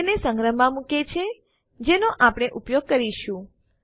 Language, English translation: Gujarati, Puts it in the storage which were supposed to use